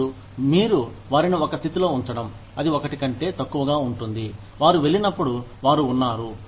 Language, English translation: Telugu, And, you put them in a position, that is lower than the one, they were at, when they left